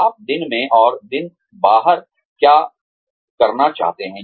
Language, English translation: Hindi, What do you want to do, day in and day out